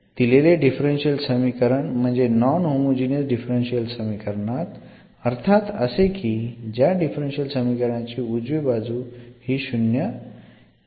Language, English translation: Marathi, So, the given differential equation means the given non homogeneous differential equation when the right hand side is not equal to 0